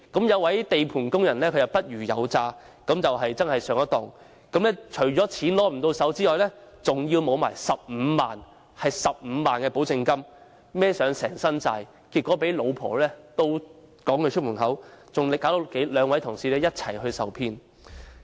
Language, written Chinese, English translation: Cantonese, 一名地盤工人不虞有詐上了當，除了不能獲得貸款外，更損失15萬元保證金，負上一身債，結果被妻子逐出家門，亦連累兩位同事一同受騙。, Apart from failing to get a loan he also lost a deposit of 150,000 . Bearing a heavy debt he was eventually expelled from home by his wife . Two of his colleagues also suffered as they were cheated together